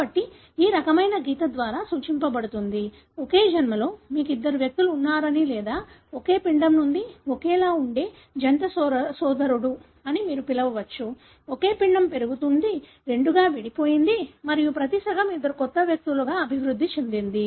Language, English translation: Telugu, So that is denoted by this kind of line, suggesting at the same birth you have two individuals or it could be what you call as twin brother that are identical resulting from the same embryo; the same embryo was growing, split into two and each half has developed into two new individuals